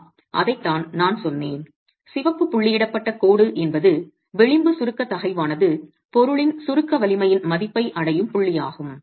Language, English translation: Tamil, Yes, that is exactly what I said that the red dotted line is the point at which the edge compressive stress reaches the value of compresses strength of the material